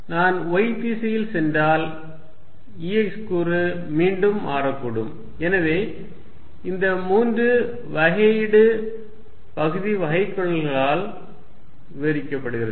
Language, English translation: Tamil, If I go in the y direction E x component may again change, so that is described by these three differential partial derivatives